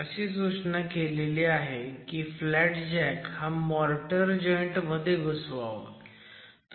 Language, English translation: Marathi, It is prescribed that the flat jack be inserted in a motor joint